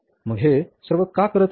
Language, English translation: Marathi, So, why is doing all that